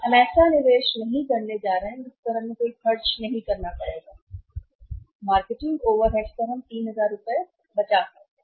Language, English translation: Hindi, We are not going to make an investment we will have not to make any expenses on the marketing overheads we can save this 3000 rupees right